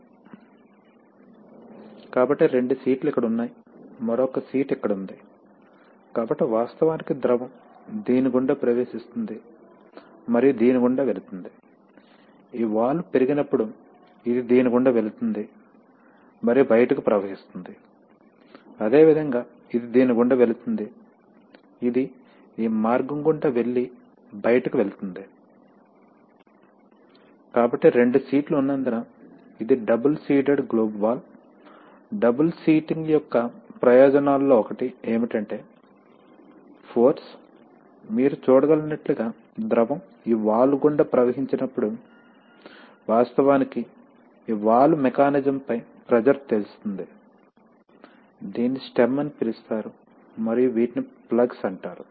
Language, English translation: Telugu, So there are two seats one seat is here, another seat is here, so actually the fluid enters through this and will go through this, when this valve will rise, it will go through this and will flow out, similarly it will go through this, it will go through this path and go out, so since there are two seats, it is a double seated globe valve, one of the advantages of double seating is that the force, as you can see that the fluid, when it flows through the valve it actually exerts a pressure on this valve mechanism this is called the stem and these are called the plugs, these are the plugs